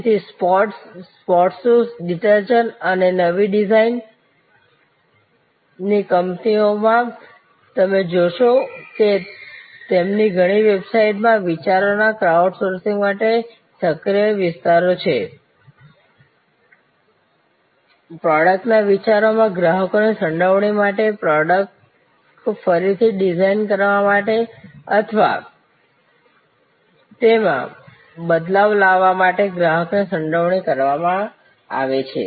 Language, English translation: Gujarati, So, new design for sports shoes, detergents, so if you see these types of companies you will see many of their websites have active areas for crowd sourcing of ideas, for customers involvement in product ideas, customers involvement in product redesign or refinement and so on